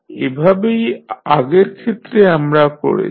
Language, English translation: Bengali, So, as we did in the previous case